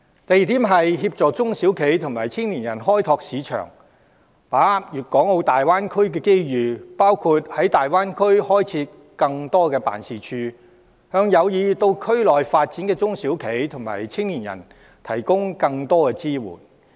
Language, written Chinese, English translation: Cantonese, 第二，積極協助中小企及青年人開拓市場及把握粵港澳大灣區機遇，包括在大灣區開設更多辦事處，以便向有意在內地發展的中小企及青年人提供更多支援。, My second proposal is to actively assist local SMEs and young people to develop markets and seize the opportunities presented by the Guangdong - Hong Kong - Macao Greater Bay Area including setting up more offices in the Greater Bay Area to facilitate the provision of more support to SMEs and young people who wish to seek development on the Mainland